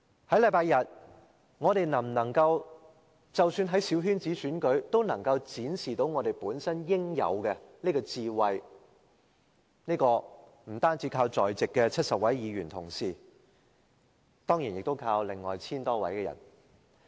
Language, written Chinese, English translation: Cantonese, 在星期日，我們能否在即使是小圈子選舉中都能展示本身應有的智慧，不單靠在席的70位議員同事，也要靠另外 1,000 多人。, This Sunday whether we can demonstrate the due wisdom even in a small - circle election does not merely count on the 70 Members present but also the other 1 000 - odd electors